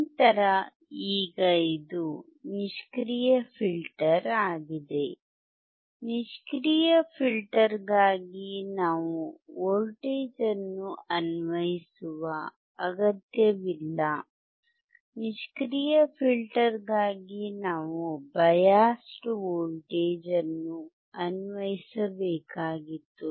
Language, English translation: Kannada, Later on, now this is a passive filter, for passive filter we do not require to apply the voltage, for passive filter we required to apply the biased voltage because there is no active, component